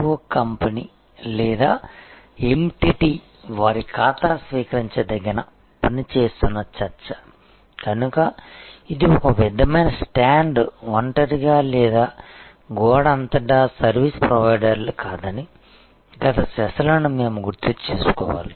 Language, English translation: Telugu, And we must recall the previous sessions that discussion that is BPO company or entity, that is doing their account receivable work therefore, is not a sort of stand alone or across the wall a service provider